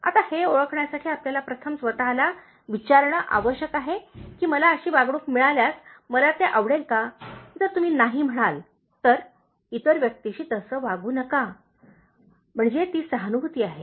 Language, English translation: Marathi, Now to identify that, you need to first ask yourself, if I am treated this way, will I like it, so if you say no, then, don’t treat the other person in that way, so that is empathy about